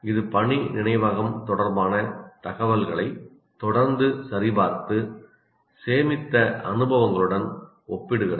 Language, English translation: Tamil, It constantly checks information related to working memory and compares it with the stored experiences